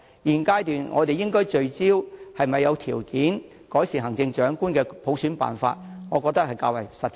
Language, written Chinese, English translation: Cantonese, 現階段我們應聚焦是否有條件改善行政長官的普選辦法，才較為實際。, At this stage it is more pragmatic for us to focus on whether the situation is right for conditionally enhancing the method for selecting the Chief Executive by universal suffrage